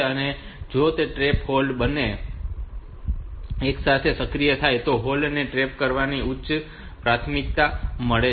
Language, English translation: Gujarati, So, if trap and hold both are activated simultaneously then hold has got the higher priority than the trap